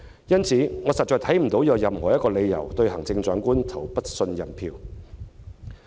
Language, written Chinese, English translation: Cantonese, 因此，我實在看不到有任何理由對行政長官投不信任票。, Therefore I really do not see any reason for casting a vote of no confidence in the Chief Executive